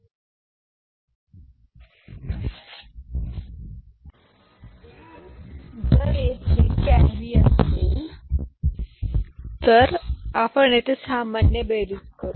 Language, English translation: Marathi, If there is a carry we’ll add it normal addition